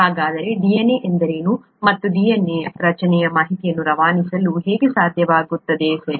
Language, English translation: Kannada, So how is, what is DNA and how , how does the structure of the DNA make it possible for information to be passed on, okay